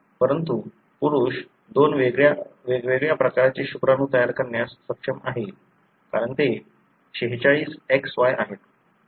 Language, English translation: Marathi, But, the males are capable of making two different types of sperms, because they are 46XY